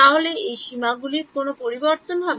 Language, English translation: Bengali, So, will any of these limits change